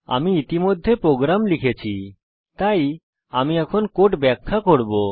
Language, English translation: Bengali, I have already made the program, so Ill explain the code